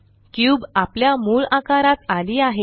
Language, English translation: Marathi, The cube is back to its original size